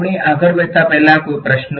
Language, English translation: Gujarati, Any questions before we go ahead